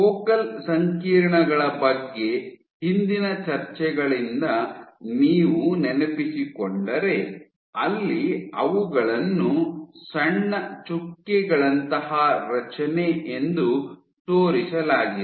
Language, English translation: Kannada, So, if you recall from earlier discussions focal complexes where small dot like structures